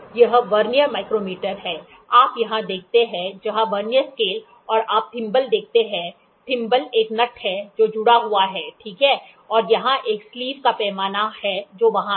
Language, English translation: Hindi, So, this is the Vernier micrometer, you see here were Vernier scale and you see the thimble the thimble is a nut which is attached, right and here is a sleeve scale which is there